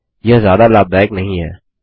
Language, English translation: Hindi, Not very useful, is it